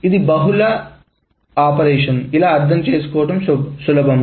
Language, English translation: Telugu, This is probably easier to understand